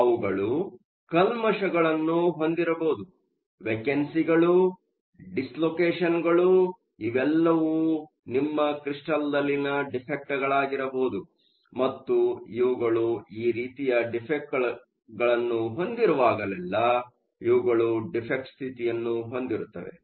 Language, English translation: Kannada, You could also have impurities, you can have vacancies, dislocations, all of these are defects in your crystal and whenever you have defects you always have defect states